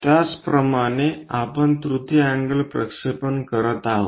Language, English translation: Marathi, Similarly, if we are making third angle projections